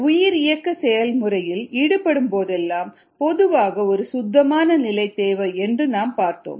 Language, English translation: Tamil, we said that whenever a bio processes involved, we typically need a clean slate